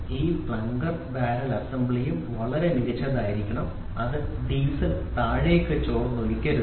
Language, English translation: Malayalam, So, this plunger and barrel assembly is to be very perfect it should not leak out the diesel down